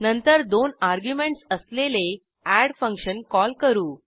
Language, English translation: Marathi, Then we call the add function with two arguments